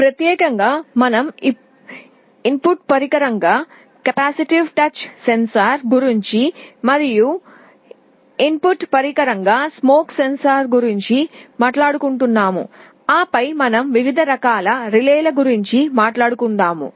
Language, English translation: Telugu, Specifically, we shall be talking about capacitive touch sensor as an input device, smoke sensor also as an input device, and then we shall be talking about different kinds of relays